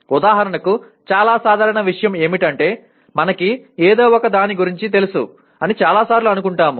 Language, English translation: Telugu, For example most common thing is many times we think we know about something